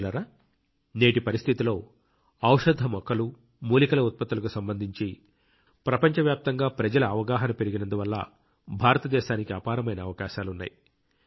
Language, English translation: Telugu, Friends, in the current context, with the trend of people around the world regarding medicinal plants and herbal products increasing, India has immense potential